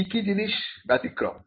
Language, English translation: Bengali, What are the exceptions